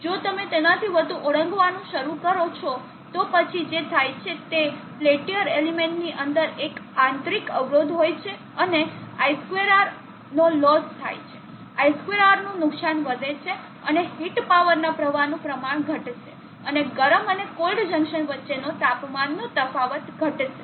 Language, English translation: Gujarati, 4 wax there is the absolute maximum do not exceed beyond that if you start exceeding beyond that then what happens is the Peltier element has within it an internal resistance and I2 law, I2 or laws increases and the amount of heat power flow will decrease and the temperature difference between the hot and cold junction will fall